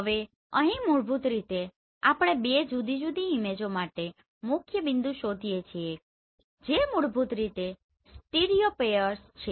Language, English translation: Gujarati, Now here basically we find principal point for two different images they are basically stereopairs